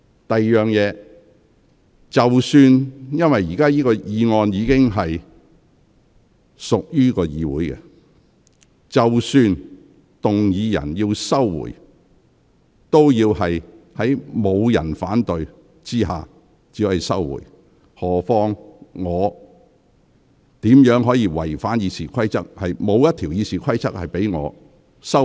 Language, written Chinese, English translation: Cantonese, 第二，由於本會已就此項議案展開辯論，即使動議人要求撤回議案，也要在沒有人反對下才可以撤回，我怎能違反《議事規則》行事？, Secondly since this Council has already initiated the debate on this motion even if the mover requests to withdraw it it can be withdrawn only in the absence of any objection so how can I act in violation of RoP?